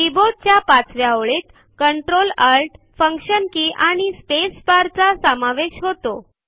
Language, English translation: Marathi, The fifth line of the keyboard comprises the Ctrl, Alt, and Function keys